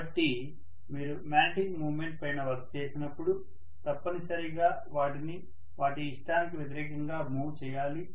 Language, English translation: Telugu, So when you do the work on the magnetic moment, you have to essentially move them against their will, right